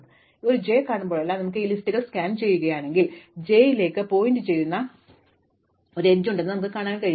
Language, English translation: Malayalam, So, if you scan these lists every time we see a j, we know there is an edge pointing into j and we will increment